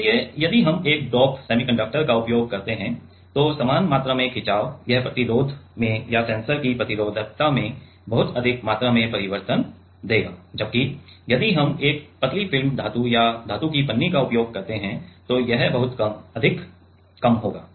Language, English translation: Hindi, So, same amount of strain if we use a dope semiconductor then it will give a much higher amount change in the resistance or in the resistivity of the sensor whereas, if we use a like thin film metal or metal foil then it will be way much lesser